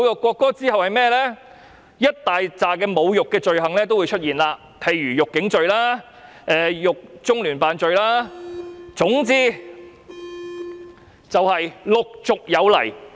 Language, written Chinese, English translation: Cantonese, 隨之而來會是一大堆侮辱罪行，例如辱警罪或侮辱中聯辦罪，總之是陸續有來。, It will be a long list of offences of insult such as the offences of insulting the Police or insulting the Liaison Office of the Central Peoples Government in HKSAR . The list will go on and on